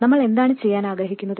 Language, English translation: Malayalam, Now, what is it that we need to do